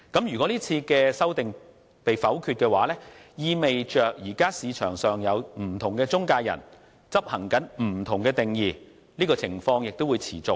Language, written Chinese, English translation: Cantonese, 如果這次就條文的修訂被否決，即意味現時市場上不同中介人使用不同定義的情況會持續。, The voting down of the present amendment proposals will mean the persistence of inconsistent definitions adopted by different intermediaries in the market